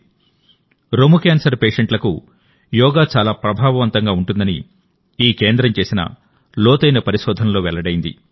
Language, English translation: Telugu, An intensive research done by this center has revealed that yoga is very effective for breast cancer patients